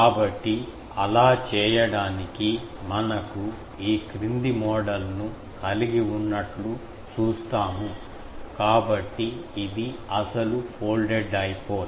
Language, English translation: Telugu, So, to do that, we make a following model that see we are having a, so this is the original folded dipole